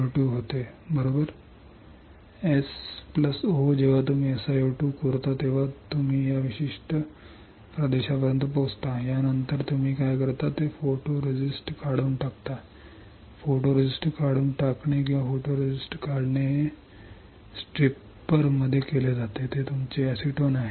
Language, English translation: Marathi, S+o, when you etch SiO 2 you reach to this particular region, after this what you do you remove the photoresist removing a photoresist or stripping a photoresist is done in photoresist stripper that is your acetone